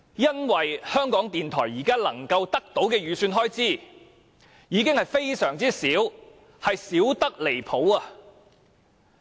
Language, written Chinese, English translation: Cantonese, 因為港台現時能夠得到的預算開支已經非常少，而且少得離譜。, Because the estimated expenditure for RTHK is already scarce ridiculously scarce